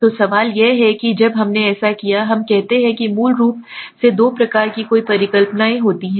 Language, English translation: Hindi, So the question is, so when we did it, we say that there are two types of basically any hypothesis of two types